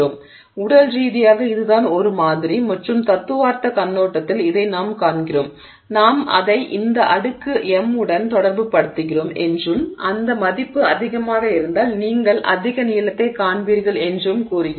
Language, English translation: Tamil, So, that is physically that is what we see from a model and you know theoretical perspective we are saying we are relating it to this exponent M and saying that if that value is high you will see high elongation